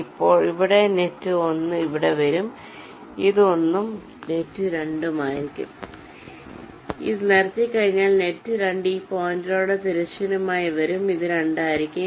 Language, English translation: Malayalam, this will be one, and net two, once this is laid out, net two will be coming horizontally along this point